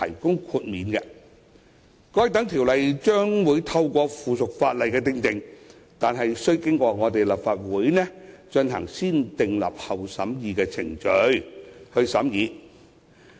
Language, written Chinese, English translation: Cantonese, 該等規例將透過附屬法例訂定，但須經過立法會進行"先訂立後審議"的程序。, Such regulations will be made by subsidiary legislation subject to the negative vetting procedure of the Legislative Council